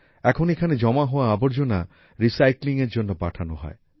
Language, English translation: Bengali, Now the garbage collected here is sent for recycling